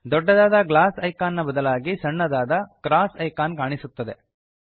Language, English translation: Kannada, Instead of the Magnifying glass icon, a small cross icon is displayed